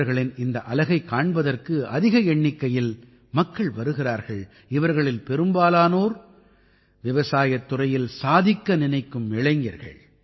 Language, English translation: Tamil, A large number of people are reaching to see this unit, and most of them are young people who want to do something in the agriculture sector